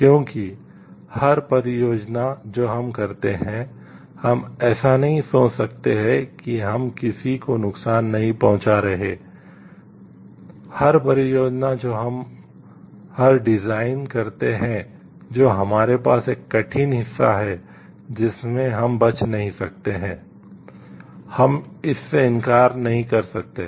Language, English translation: Hindi, Because every project that we do, we cannot cream like we are not harming anyone, every project that we do every design that we do have a hard part involved in it we cannot escape that, we cannot deny that